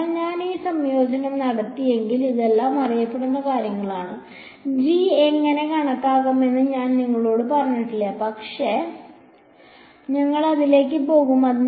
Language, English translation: Malayalam, So, if I do all this integration this these are all known things ok, I have not told you how to calculate g, but we will get to it